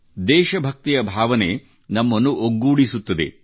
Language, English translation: Kannada, This feeling of patriotism unites all of us